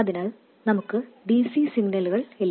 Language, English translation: Malayalam, So, we don't have DC signals